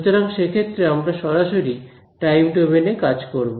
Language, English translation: Bengali, So, there we will work directly in the time domain ok